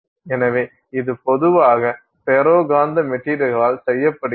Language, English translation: Tamil, So, this is generally been done with ferromagnetic material